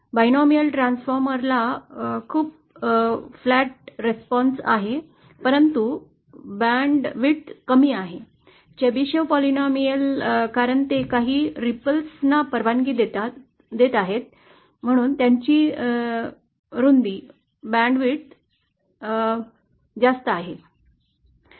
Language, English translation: Marathi, Binomial transformer has a very flat response but lesser band width, Chebyshev polynomial because it is aligned from ripple; it has a wider band width